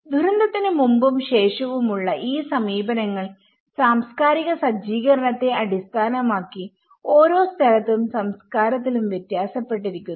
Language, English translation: Malayalam, These pre and post disaster approaches they vary with from place to place, culture to culture based on the cultural setup